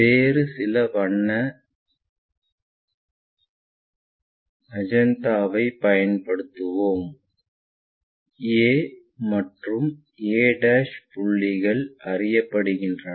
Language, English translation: Tamil, Let us use some other color magenta, we know a, we know a', this points are known